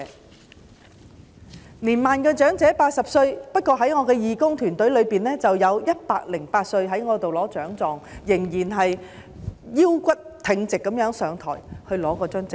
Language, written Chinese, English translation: Cantonese, 八十歲屬年邁長者，不過在我的義工團隊中，有一位108歲的長者仍然腰骨挺直地走到台上，從我手中接過獎狀。, Those aged 80 belong to the senior elderly group but there is a 108 - year - old elderly person in my volunteer team who could still straighten his back and walk onto the stage to receive a certificate of merit from me